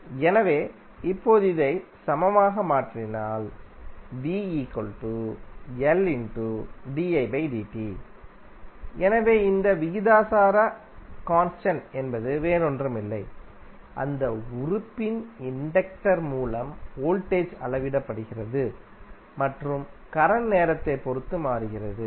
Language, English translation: Tamil, So, this proportionality constant is nothing but, the inductance of that element through which the voltage is measured and current is changing with respect to time